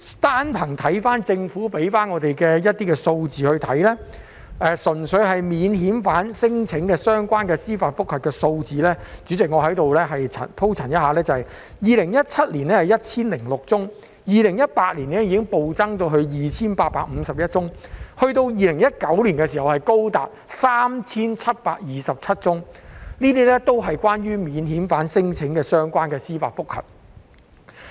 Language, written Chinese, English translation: Cantonese, 單憑政府提供的一些數字來看，純粹免遣返聲請的相關司法覆核案件數字——主席，請容許我在此鋪陳一下 ——2017 年是 1,006 宗 ，2018 年已經暴增至 2,851 宗 ，2019 年更高達 3,727 宗，這些也是關於免遣返聲請的司法覆核案件。, From some statistics provided by the Government the number of JR cases involving non - refoulement claims―President please allow me to elaborate a little here―the number of cases was 1 006 in 2017 . It drastically jumped to 2 851 cases in 2018 and was as high as 3 727 cases in 2019 . These figures are related to JR cases involving non - refoulement claims